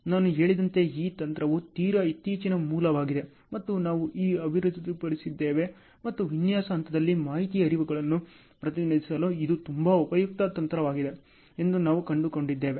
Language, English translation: Kannada, This technique as I told is a very recent origin and we have developed and we found that it is a very useful technique for representing an information flows in design phase